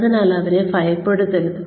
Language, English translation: Malayalam, So, do not scare them